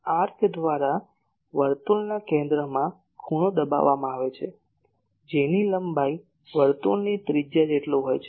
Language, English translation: Gujarati, The angle subtended at the centre of a circle by an arc whose length is equal to the radius of the circle